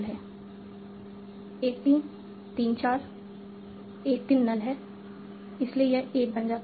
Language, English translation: Hindi, 1 3, 3, 4, 1 3 is null